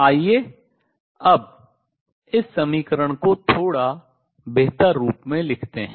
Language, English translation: Hindi, Lets us write this equation in a slightly better form now